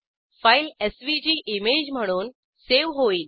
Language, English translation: Marathi, Here we can see that file is saved as a SVG image